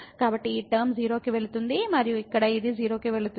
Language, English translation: Telugu, So, this term goes to 0 and here this goes to 0